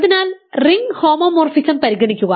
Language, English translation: Malayalam, So, consider the ring homomorphism